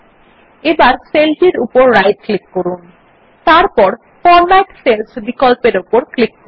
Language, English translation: Bengali, Now do a right click on cell and then click on the Format Cells option